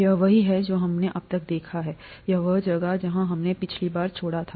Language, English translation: Hindi, This is what we have seen so far, this is where we left off last time